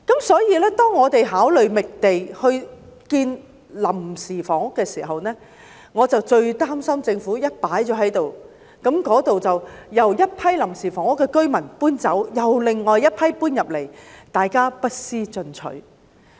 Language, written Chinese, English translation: Cantonese, 所以，當我們考慮覓地興建臨時房屋時，我最擔心政府一旦興建了過渡性房屋，當一群臨時房屋居民遷出該處後，便有另一群居民搬進來，大家不思進取。, Hence when we consider finding land for building temporary housing I feel most worried that after the Government has built the transitional housing when a group of temporary housing residents has moved out therefrom there will be another group of residents moving in and everyone stops making progress